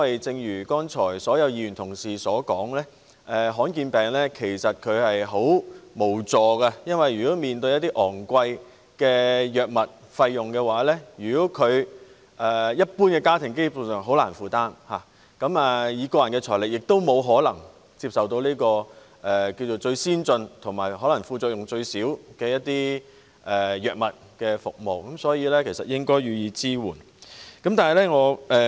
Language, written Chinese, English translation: Cantonese, 正如剛才所有議員的發言，罕見病患者很無助，他們面對昂貴的藥物費用，一般家庭根本難以負擔，以個人財力更不可能接受最先進或副作用最少的藥物，所以，政府應該對他們予以支援。, Just as Members mentioned in their speeches just now patients suffering from rare diseases are really helpless . The high drug prices they face are actually unaffordable to ordinary families not to mention affording with their personal finances the drugs which are most advanced or with the least side effects . So the Government should provide support to them